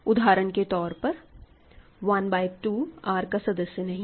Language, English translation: Hindi, So, for example, 1 by 2 is in R right